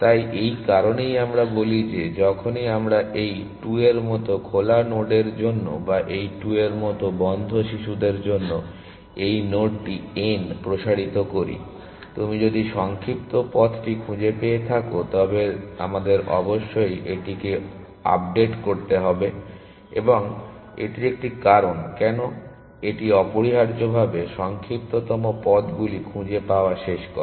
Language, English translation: Bengali, So, which is why we say that whenever we expand this node n for nodes on open like these 2 or for children on closed like these 2; if you have found the shorter path, we must update that essentially and that is 1 reason why it ends of finding the shortest paths essentially